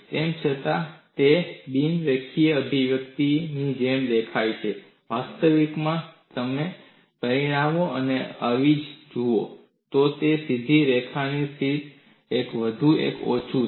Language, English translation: Gujarati, Though, it appears like a non linear expression, in reality, if you look at the dimensions and substitute, it is more or less like a straight line